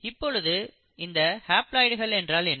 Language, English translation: Tamil, Now, what is haploids